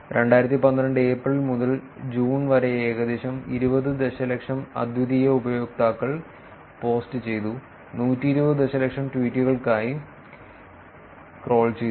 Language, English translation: Malayalam, And the crawl was done for 120 million tweets posted by about close to 20 million unique users from April to June 2012